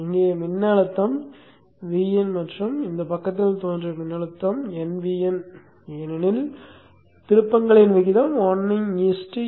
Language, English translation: Tamil, The voltage here is VN and the voltage that appears across on this side is N times VIN because of the terms ratio 1 is to N